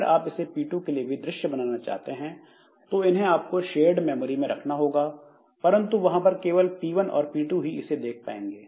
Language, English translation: Hindi, So, for P2, for making it visible to P2, I have to put them on the shared memory and from there only this P1 and P2 can see them